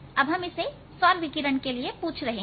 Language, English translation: Hindi, now we are asking for the solar radiation